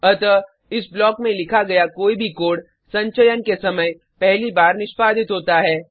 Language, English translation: Hindi, So, any code written inside this block gets executed first during compilation